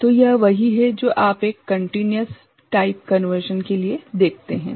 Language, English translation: Hindi, So, this is what you would see for a continuous type conversion ok